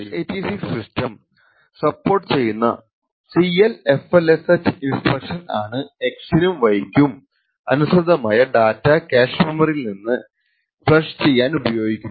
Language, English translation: Malayalam, The CLFLUSH instructions is supported by x86 systems to flush the data corresponding to x and y from the cache memory